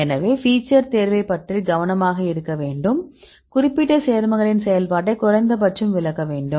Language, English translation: Tamil, So, you have to be careful about the feature selection, there should be at least explain the activity of your particular compound